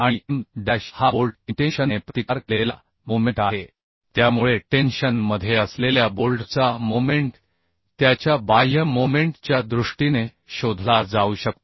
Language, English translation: Marathi, M dash is basically moment resisted by the bolt intension, so moment resisted by bolt in tension, that is M dash